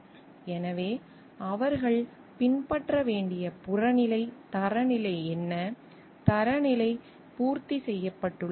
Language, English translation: Tamil, So, what is the objective standard they needs to be followed to show like, the standard has been met